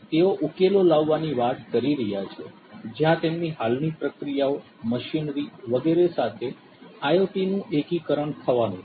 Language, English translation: Gujarati, They are talking about having solutions where integration of IoT with their existing processes, machinery etc